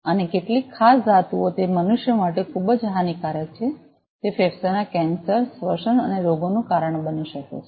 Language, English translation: Gujarati, And some particular metals those are very much harmful for humans it may cause lungs cancer, respiratory diseases